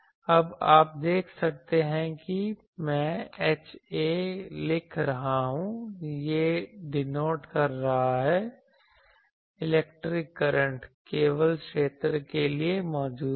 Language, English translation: Hindi, Now you see I am writing H A, it is denoting that for electric current present only the field